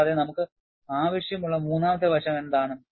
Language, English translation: Malayalam, And, what is the third aspect that we require